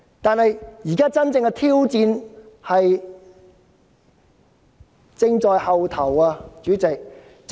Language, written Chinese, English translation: Cantonese, 然而，真正的挑戰仍在後頭。, Yet the real challenge has yet to come